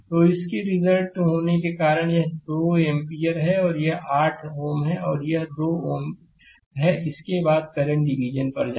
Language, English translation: Hindi, So, this is 2 ampere because of the resultant of this and this is 8 ohm this is 2 ohm after this you go to current division right